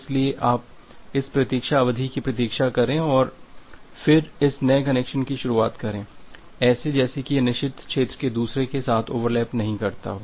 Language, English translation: Hindi, So you wait for this wait duration and then initiate this new connection such that this forbidden region does not overlap with each other